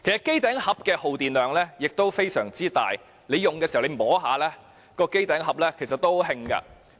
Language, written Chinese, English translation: Cantonese, 機頂盒的耗電量非常大，故此機身在使用期間是燙手的。, As set - top boxes are energy - intensive they get hot when in operation